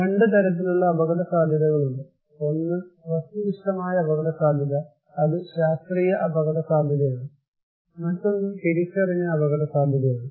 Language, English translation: Malayalam, So, we are saying that there are 2 kind of risk; one is objective risk that is scientific risk; another one is the perceived risk